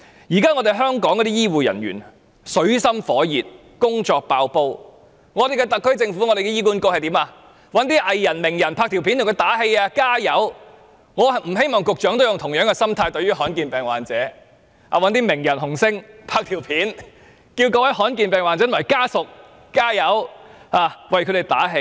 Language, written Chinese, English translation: Cantonese, 現時香港的醫護人員正處於水深火熱，工作爆煲，特區政府和醫管局卻找來藝人、名人拍片為他們加油打氣，我不希望局長對於罕見疾病患者，都用同樣的心態，找名人、紅星拍片，叫罕見疾病患者及家屬加油，為他們打氣。, Their workloads are extremely high . The SAR Government and HA on the other hand invited celebrities and famous people to show up in a video to boost their morale . I hope that the Secretary will not do the same to rare disease patients and ask famous people or pop stars to videotape their words of encouragement to rare disease patients and their families